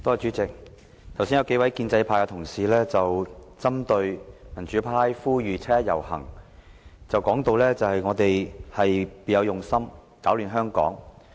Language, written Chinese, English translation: Cantonese, 主席，剛才數位建制派同事針對民主派呼籲七一遊行，說我們別有用心，攪亂香港。, President just now a few pro - establishment Members criticized the democratic camp for having ulterior motives and disrupting Hong Kong as it appealed to members of the public to join the 1 July march